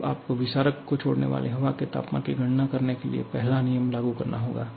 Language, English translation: Hindi, Now, you have to apply the first law to calculate the temperature of air leaving the diffuser